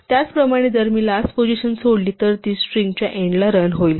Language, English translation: Marathi, Similarly, if I leave out the last position it runs to the end of the string